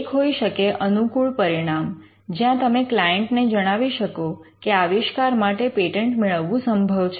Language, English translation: Gujarati, One it could be a favorable outcome, where you communicate to the client that the invention is patentable